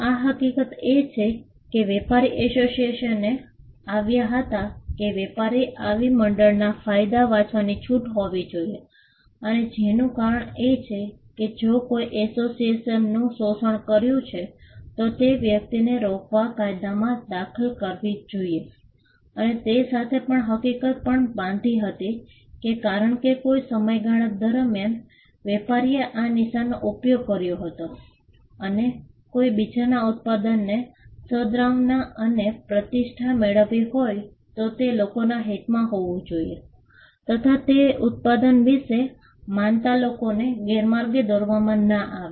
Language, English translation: Gujarati, The fact that, the trader came up with the association, the trader should be allowed to read the benefits of such association and link to this is the fact that if someone else exploited the association then, the law should intervene to stop that person and this also had was tied to the fact that, that because a trader has used the mark over a period of time and has generated goodwill and reputation, it should be in the interest of the market as well that, people are not misled in into believing that, someone else’s product is that of the traders product